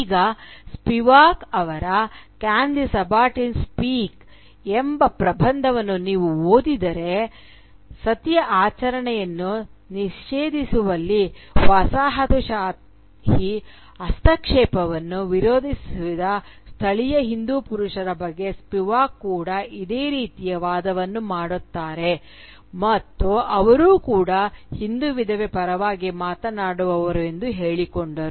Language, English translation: Kannada, Now, if you read Spivak’s essay "Can the Subaltern Speak," you will note that Spivak also makes a similar argument about the male Hindu nativists who opposed the colonial intervention in banning the ritual of Sati and who, too, claimed to speak on the behalf of the Hindu widow